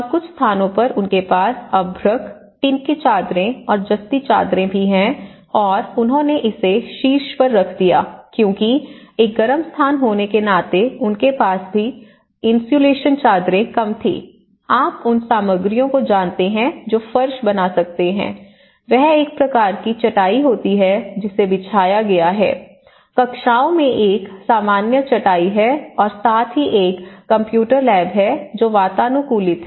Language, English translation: Hindi, And in some places they have also had this asbestos and the tin sheet, the tin sheets as well and the galvanized sheets and they put it on the top and that way because being a hot place they also have kind of some places they had some little insulation sheets, you know the materials which can make and the flooring it has again a kind of mats which has been laid out, in classrooms there is a normal mats and as well as and this is a computer lab you know itís an air conditioned computer labs which has a semi circular trussed roof